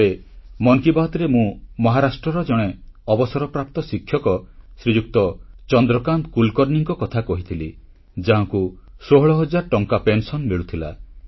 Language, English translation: Odia, Once, in Mann Ki Baat, I had mentioned about a retired teacher from Maharashtra Shriman Chandrakant Kulkarni who donated 51 post dated cheques of Rs